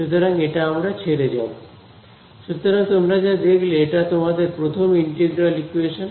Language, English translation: Bengali, So, what you have seen now is your very first integral equation